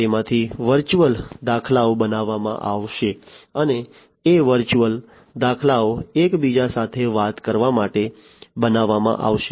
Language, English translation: Gujarati, The virtual instances of them would be created and those virtual instances would be made to talk to one another